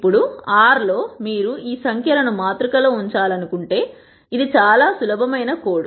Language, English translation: Telugu, Now, in R if you want to put this numbers into a matrix, it is a very very simple code